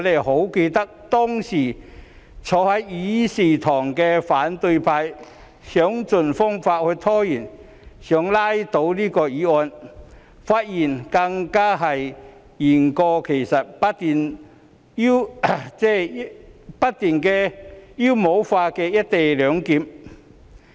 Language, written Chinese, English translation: Cantonese, 我記得當時仍坐在議事堂的反對派議員想方設法拖延，想拉倒議案，發言更是言過其實，不斷妖魔化"一地兩檢"安排。, I still remember how opposition Members in the Chamber used every delaying tactic in an attempt to strike down the motion . They even stretched the truth in their speeches and kept demonizing the co - location arrangement